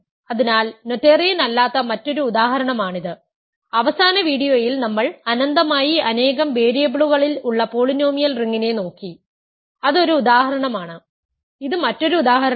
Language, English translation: Malayalam, So, this is another example of something that is not noetherian, we in the last video looked at the polynomial ring in infinitely many variables that is one example, this is another example